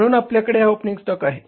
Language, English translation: Marathi, So, we have calculated the opening stock